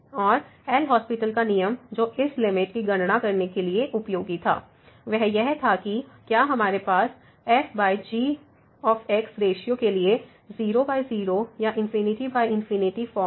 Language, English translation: Hindi, And, the L’Hospital’s rule which was useful to compute this limit was that whether we have the by or infinity by infinity form here for the ratio over